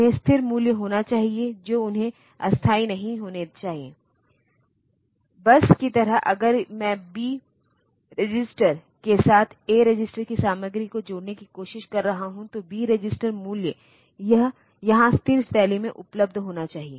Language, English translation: Hindi, They should be stable values they should not be floating around this; bus like if I am trying to add the content of a register with B register, then the B register value should be available here in a steady fashion